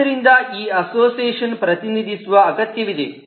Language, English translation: Kannada, so this association needs to be represented